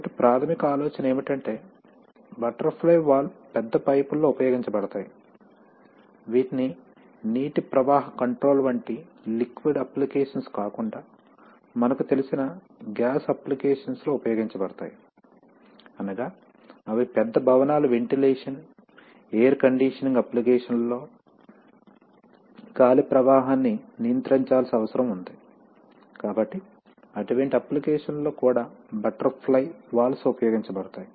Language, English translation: Telugu, So, basic idea is that this is, butterfly valves are used in large pipes, they are, they are also used for the, apart from, you know applications in let us say liquid applications like water flow control etc, they are also used in gas applications, like they are used In heating ventilation air conditioning applications of large buildings, where the air flow needs to be controlled, so in such applications butterfly valves are also used